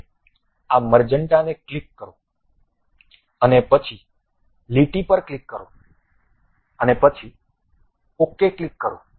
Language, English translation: Gujarati, Now, click this magenta one and then click the line and then click ok